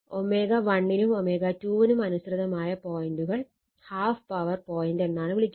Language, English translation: Malayalam, So, the points corresponding to omega 1 and omega called the half power points